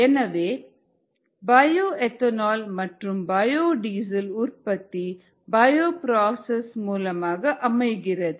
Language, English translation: Tamil, so the production of bio ethanol and bio diesel are also done through bio processes